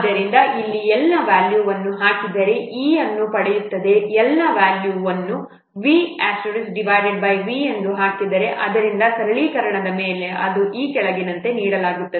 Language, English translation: Kannada, So putting the value of L here we get E is equal to how much putting the value of L is equal to v star by V